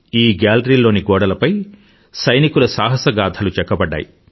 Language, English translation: Telugu, It is a gallery whose walls are inscribed with soldiers' tales of valour